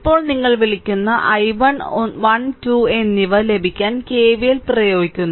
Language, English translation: Malayalam, Now, you apply KVL to get your i your what you call i 1 and i 2 i 1 i 2 same